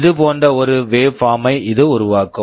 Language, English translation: Tamil, It will be generating a waveform like this